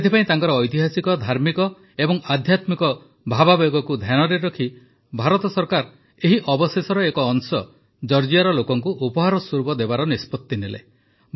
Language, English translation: Odia, That is why keeping in mind their historical, religious and spiritual sentiments, the Government of India decided to gift a part of these relics to the people of Georgia